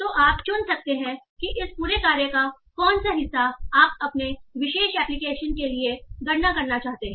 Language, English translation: Hindi, So you can choose which of what part of this whole task you want to come do for your particular application